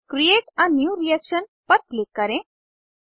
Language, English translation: Hindi, Click on Create a new reaction